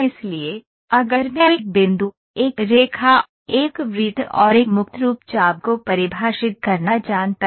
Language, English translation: Hindi, So, if I know to define a point, a line, a circle and a free form arc ok